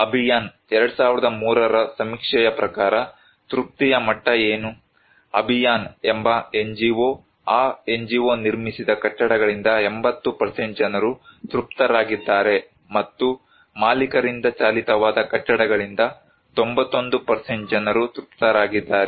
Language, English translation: Kannada, What was the level of satisfaction according to the Abhiyan 2003 survey, an NGO called Abhiyan that NGO 80% people that those buildings were constructed by NGO 80% are satisfied and in case of owner driven, 91% were satisfied